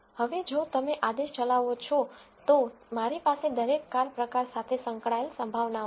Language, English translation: Gujarati, Now, if you run the command I have the probabilities associated with each car type